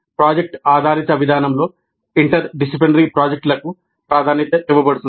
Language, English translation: Telugu, Interdisciplinary projects are preferred in the project based approach